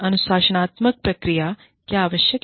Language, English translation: Hindi, Why are disciplinary procedures, necessary